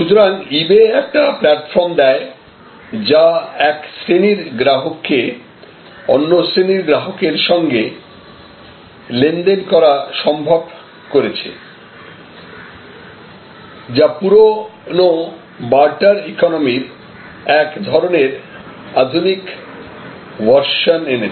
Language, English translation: Bengali, So, eBay provides a platform, which allows one class of customers to deal with another class of customers to do commerce, which in a very modern way has brought about a certain version of the old barter economy